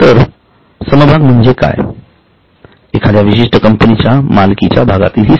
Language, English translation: Marathi, So, share refers to the share in the ownership of a particular company